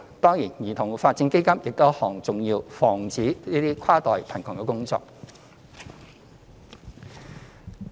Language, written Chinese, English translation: Cantonese, 當然，兒童發展基金亦是一項重要防止跨代貧窮的工作。, Certainly the Child Development Fund is also an important initiative to prevent inter - generational poverty